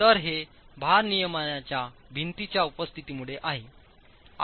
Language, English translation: Marathi, So it's's because of the presence of load bearing walls